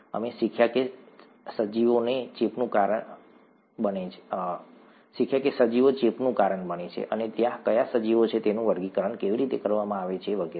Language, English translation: Gujarati, We learnt that organisms cause infection and what organisms there are, how they are classified and so on